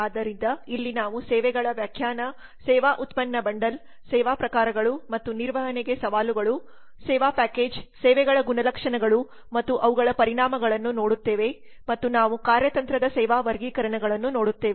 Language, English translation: Kannada, now this is the fourth lesson which is about characteristics of services so here we look at the definition of services the service product bundle service types and challenges for manages the service package characteristics of services and their implications and we look at strategic service classifications